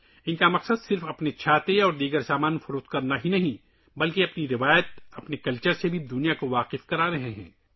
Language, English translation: Urdu, Their aim is not only to sell their umbrellas and other products, but they are also introducing their tradition, their culture to the world